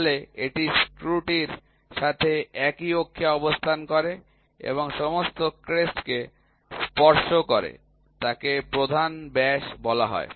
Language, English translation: Bengali, So, this is the coaxial to the screw and touches all the crest is called as major diameter